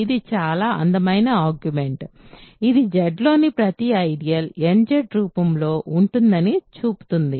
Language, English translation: Telugu, This is a very beautiful augment which shows that every ideal in Z is of the form nZ